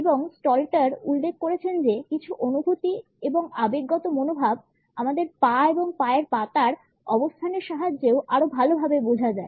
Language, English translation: Bengali, And Stalter has pointed out that certain feelings and emotional attitudes are better communicated with the help of our positioning of legs and feet